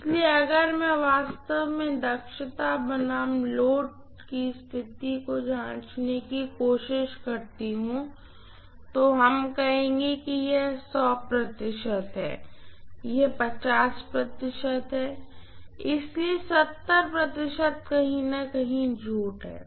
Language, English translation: Hindi, So if I try to plot actually efficiency versus load condition, so let us say this is 100 percent, this is 50 percent, so 70 lies somewhere here